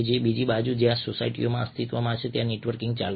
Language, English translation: Gujarati, on the other hand, networking has gone on almost as long as societies themselves have existed